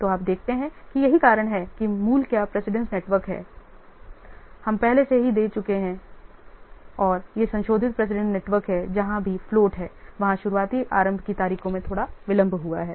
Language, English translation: Hindi, So that's why the original what precedence network we have already given earlier and this is the revised president network where the earliest tard days have been slightly delayed wherever float is there